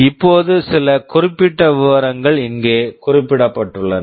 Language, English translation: Tamil, Now, some specific details are mentioned here